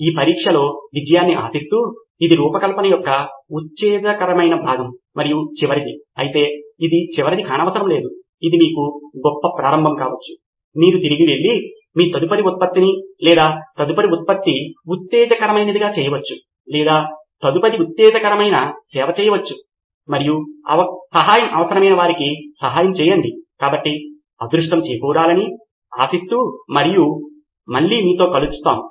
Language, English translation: Telugu, So good luck with testing, it is an exciting portion of design thinking and of course the last one but it need not be the last one, it could be a great beginning for you, you can go back and make your next product or next exciting product or next exciting service and help somebody who needs the help okay, so good luck and see you next time bye